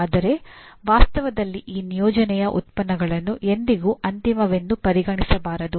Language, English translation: Kannada, But in actuality, these outputs of these assignment should never be considered as final